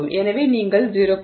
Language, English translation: Tamil, So, you are looking at values of 0